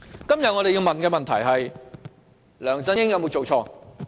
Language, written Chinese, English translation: Cantonese, 今天我們要問的問題是：梁振英有否做錯？, The question we must ask today is Has LEUNG Chun - ying committed any fault?